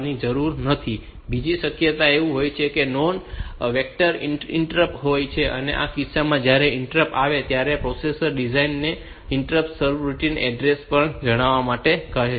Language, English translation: Gujarati, Other possibility is that they are non vectored interrupt that is in this case when the interrupts will has occurred the processor will ask the device to tell the interrupt service routine address